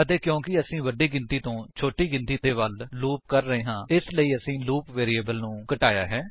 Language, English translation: Punjabi, And since we are looping from a bigger number to a smaller number, we have decremented the loop variable